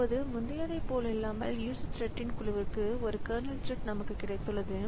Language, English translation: Tamil, Now, unlike the previous one where we had got a single kernel thread for a group of user thread